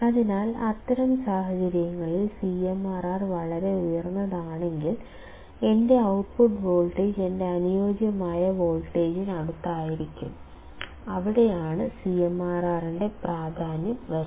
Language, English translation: Malayalam, So, in that case if CMRR is extremely high, my output voltage would be close to my ideal voltage and thus the importance of CMRR comes into picture